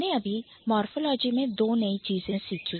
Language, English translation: Hindi, So, yes, we just learned two new things in morphology